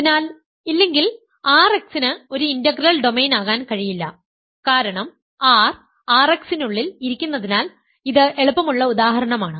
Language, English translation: Malayalam, So, if not then R x cannot be an integral domain that is because R sits inside R x so, as an easy example